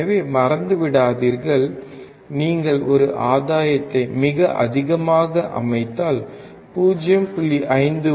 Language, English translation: Tamil, So, do not forget, if you set a gain extremely high, then even 0